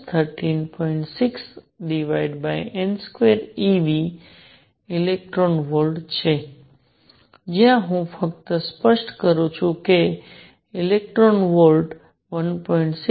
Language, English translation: Gujarati, 6 over n square e v electron volts where let me just clarify 1 electron volt is 1